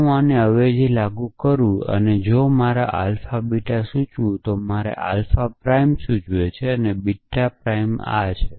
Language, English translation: Gujarati, So, if I apply the substitution to this if this is my alpha implies beta, then my alpha prime implies beta prime is this